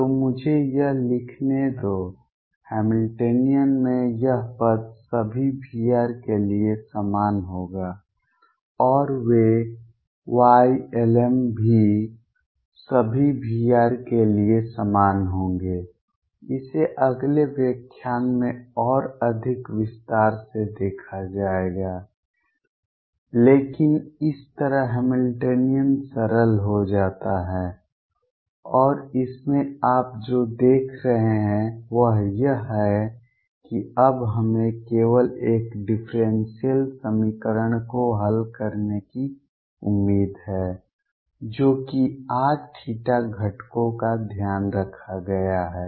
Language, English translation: Hindi, So, let me write this; this term in the Hamiltonian will be the same for all V r and those y L ms will also be the same for all V rs, this will see in more detail in the next lecture, but this is how the Hamiltonian gets simplified and what you see in this is that now we are expected to solve only a differential equation which is for r the theta phi components have been taken care of